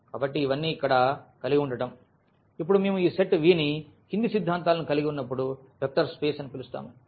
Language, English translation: Telugu, So, having all these here; now when do we call this set V a vector space when the following axioms hold